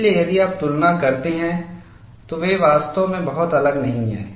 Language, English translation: Hindi, So, if you compare, they are not really very different